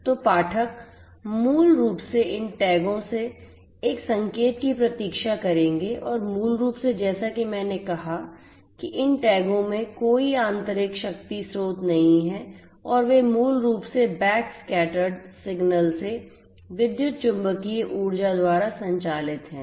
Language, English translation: Hindi, So, the reader basically will wait for a signal from these tags and basically as I said that these tags do not have any internal power source and they are basically powered by electromagnetic energy from this backscattered signal